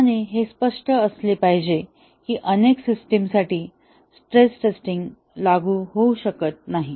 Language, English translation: Marathi, And, as it is must be clear that for many systems, stress testing may not be applicable